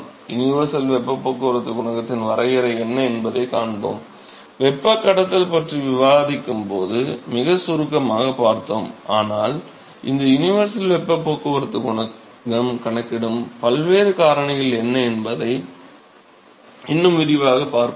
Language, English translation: Tamil, We will see what is the definition of universal heat transport coefficient, we have seen very briefly when the discuss conduction, but we will see in a lot more detail as to what is this universal heat transport coefficient, what are the different factors that are accounted in that universal heat transport coefficient